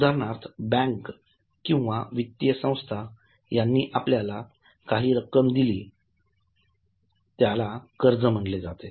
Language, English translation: Marathi, For example, banks or financial institutions, they have given you some amount of loan that is called as a borrowing